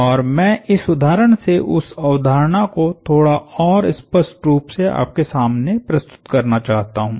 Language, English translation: Hindi, And I want to let this example bring that concept to you in a slightly more clearer fashion